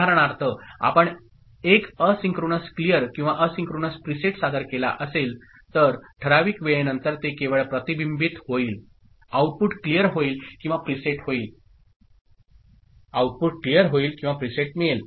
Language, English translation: Marathi, For example, if you present an asynchronous clear right or asynchronous preset, so after certain amount of time, only it will be reflected, it will the output will get cleared or it will get preset